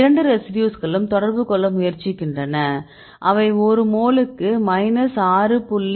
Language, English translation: Tamil, These two residues they try to interact, they are interacting with an energy of minus 6